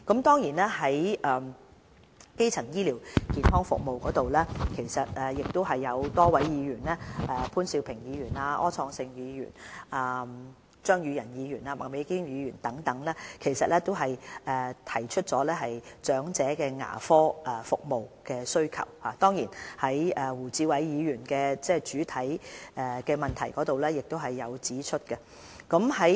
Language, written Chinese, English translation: Cantonese, 在基層醫療健康服務方面，有多位議員，包括潘兆平議員、柯創盛議員、張宇人議員和麥美娟議員等亦提及長者對牙科服務的需求，而胡志偉議員在原議案中亦指出了這方面的需求。, On the provision of primary health care services a number of Members including Mr POON Siu - ping Mr Wilson OR Mr Tommy CHEUNG and Ms Alice MAK have mentioned the demand of elders for the dental services . This service demand has also been brought up in the original motion proposed by Mr WU Chi - wai